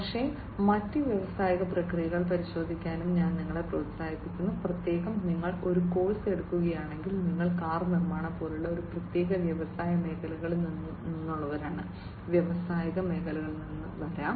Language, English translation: Malayalam, But, I would also encourage you to look at other industrial processes, particularly if you are, you know, if you are taking a course, and you come from a particular industry sector like car manufacturing could be coming from different are the industrial sectors